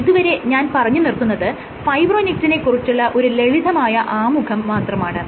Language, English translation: Malayalam, So, this is just to give you an intro to Fibronectin